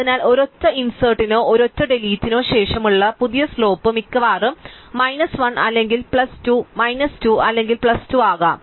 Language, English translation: Malayalam, So, the new slope after a single insert or a single delete can be at most minus 1 or plus 2, minus 2 or plus 2